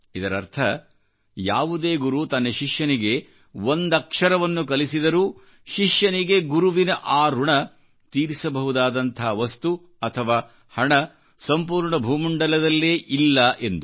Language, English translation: Kannada, Thereby meaning, when a guru imparts even an iota of knowledge to the student, there is no material or wealth on the entire earth that the student can make use of, to repay the guru